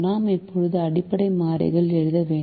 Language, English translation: Tamil, we now have to write the basic variables